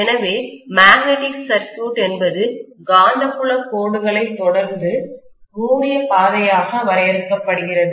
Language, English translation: Tamil, So magnetic circuit is essentially defined as the closed path followed by the magnetic field lines